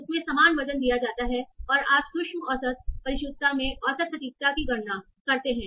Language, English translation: Hindi, So then they are given equal weight and you compute an average precision